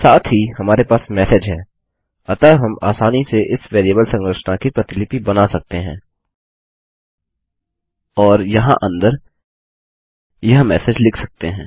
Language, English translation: Hindi, Also we have the message so we can easily duplicate this variable structure and say message in there